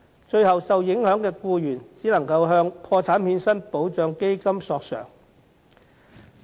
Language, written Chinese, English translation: Cantonese, 最後，受影響的僱員只能夠向破產欠薪保障基金索償。, Finally the affected employees could only claim compensation from the Protection of Wages on Insolvency Fund